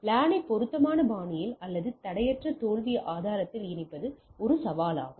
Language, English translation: Tamil, So, connecting LAN in a appropriate fashion or in a seamless fail proof way is a challenge